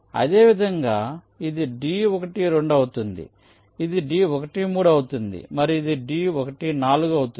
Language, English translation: Telugu, similarly, this will be d i two, this will be d i three and this will be d i four